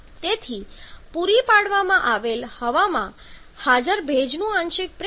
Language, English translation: Gujarati, So, the partial pressure of the moisture present in the supplied air is equal to 1